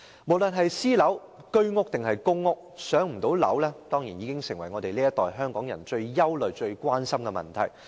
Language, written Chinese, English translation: Cantonese, 無論是私樓、居屋還是公屋，不能"上樓"已成為這一代香港人最憂慮和關心的問題。, The impossibility to move up to private residential units HOS flats or public housing units has turned into the greatest worry and concern of Hong Kong people from the present generation